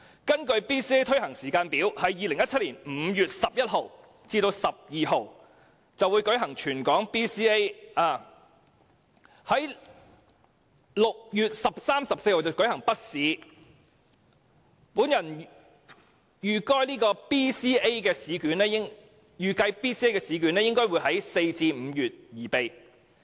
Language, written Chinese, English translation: Cantonese, 根據 BCA 推行的時間表 ，2017 年5月11日至12日將會舉行全港性小學六年級說話及視聽資訊評估，並在6月13日和14日舉行小學三年級紙筆評估。, According to the BCA timetable territory - wide speaking and audio - visual assessments for Primary Six students will be conducted between 11 and 12 May 2017 while written assessments for Primary Three students will be conducted between 13 and 14 June